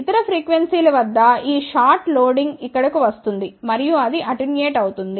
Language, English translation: Telugu, At other frequencies loading of this short will come over here and that will get attenuated